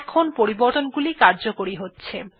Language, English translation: Bengali, Now we can see that changes are applying